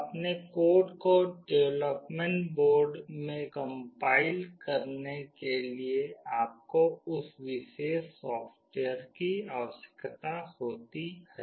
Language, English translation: Hindi, To compile your code into the development board you need that particular software